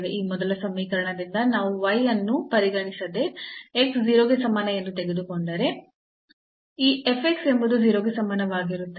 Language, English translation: Kannada, So, from this first equation if we take x is equal to 0 irrespective of y there this f x will be 0